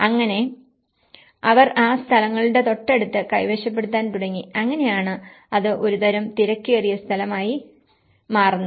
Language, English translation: Malayalam, So, they started occupying next to that places and then that is how it becomes a kind of crowded space